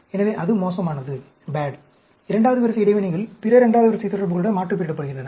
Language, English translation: Tamil, So, that is bad; and second order interactions are aliased with other second order interaction